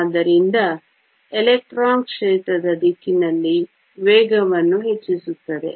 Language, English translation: Kannada, So, the electron will accelerate in the direction of the field